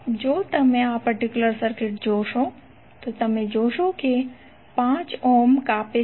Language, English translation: Gujarati, If you see this particular circuit then you will see that this 5 ohm is cutting across